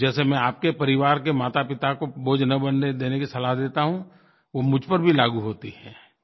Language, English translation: Hindi, Just as I advise your parents not to be burdensome to you, the same applies to me too